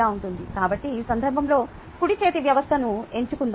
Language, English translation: Telugu, ok, so let us choose a right handed system